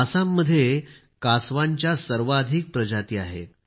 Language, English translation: Marathi, Assam is home to the highest number of species of turtles